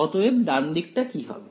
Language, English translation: Bengali, So, what will the right hand side become